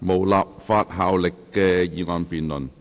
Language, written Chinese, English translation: Cantonese, 無立法效力的議案辯論。, Debate on motion with no legislative effect